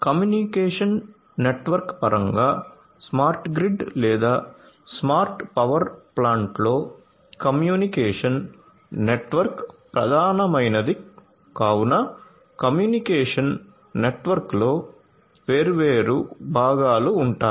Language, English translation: Telugu, In terms of the communication network, because communication network is the core in a smart grid or a smart power plant so, the communication network has different different parts